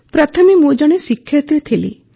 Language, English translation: Odia, Earlier, I was a teacher